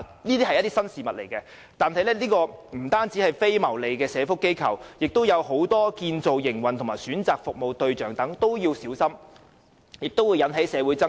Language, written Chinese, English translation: Cantonese, 由於這是新事物，所以不僅非牟利的社福機構，而且在建造營運及選擇服務對象方面都必須小心，以免引起社會爭論。, As this is a brand new initiative not only should the non - profit - making welfare organizations be carefully chosen but also the operators and target tenants so as to avoid arousing arguments in the community